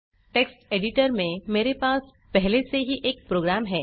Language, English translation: Hindi, I already have a program in the Text editor